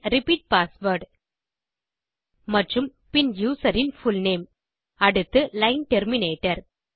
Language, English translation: Tamil, Then repeat password and then fullname of the user followed by the line terminator